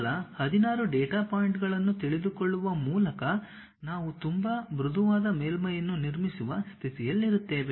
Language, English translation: Kannada, By just knowing 16 data points we will be in a position to construct a very smooth surface